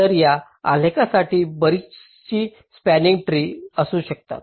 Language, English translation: Marathi, ok, so for this graph, there can be so many possible spanning trees